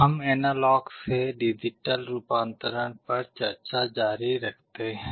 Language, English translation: Hindi, We continue with the discussion on Analog to Digital Conversion